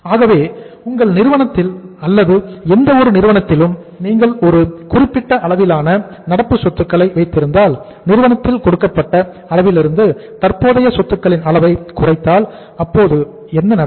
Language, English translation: Tamil, So if you have a given level of current assets in your firm or in any firm if you work for if you have the given level of the current assets if you decrease the level of current assets from the given level in in the firm so it means what will happen